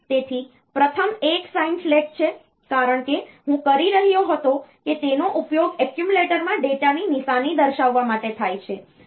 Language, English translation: Gujarati, So, first one is the sign flag as I was telling that it is used for indicating the sign of the data in the accumulator